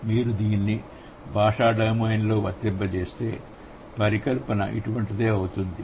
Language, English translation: Telugu, If you apply it in the language domain, the hypothesis would be something like this